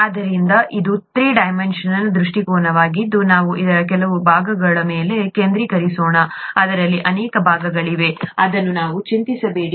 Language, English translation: Kannada, So this is the three dimensional view, let us just focus on some parts of it; there are many parts to it which let us not worry about